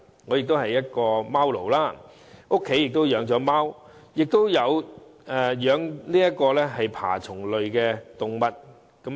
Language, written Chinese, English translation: Cantonese, 我亦是一名"貓奴"，家中除了貓外，亦有飼養爬蟲類動物。, I am a cat slave . Apart from keeping cats I also keep reptiles at home